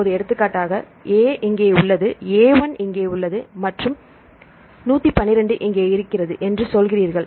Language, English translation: Tamil, Now for example, you say A is here A1 is here and the I12 is here right